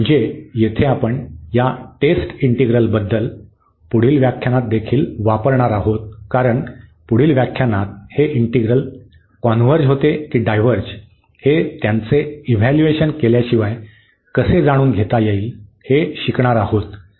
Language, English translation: Marathi, So, here we also use in further lectures about this test integrals because in the next lectures we will learn about how to how to test whether this converge this integral converges or it diverges without evaluating them